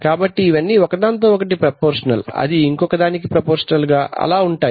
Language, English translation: Telugu, So all these are proportional, this is proportional to this, and this is proportional to this